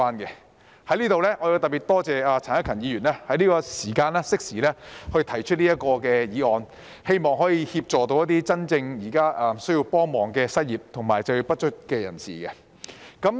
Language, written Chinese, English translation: Cantonese, 我在此特別多謝陳克勤議員適時提出這項議案，希望可以協助那些真正需要幫忙的失業及就業不足人士。, I would like to specially thank Mr CHAN Hak - kan for proposing this motion at the opportune moment to hopefully assist the unemployed and underemployed who are truly in need